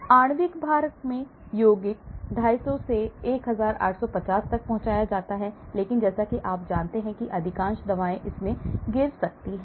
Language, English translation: Hindi, Compounds in molecular weight; 250 to 1850 are transported, so most of the drugs as you know can fall into this